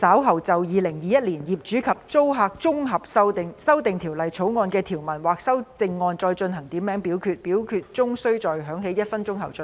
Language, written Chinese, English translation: Cantonese, 主席，我動議若稍後就《2021年業主與租客條例草案》的條文或其修正案進行點名表決，表決須在鐘聲響起1分鐘後進行。, Chairman I move that in the event of further divisions being claimed in respect of any provisions of or any amendments to the Landlord and Tenant Amendment Bill 2021 this committee of the whole Council do proceed to each of such divisions immediately after the division bell has been rung for one minute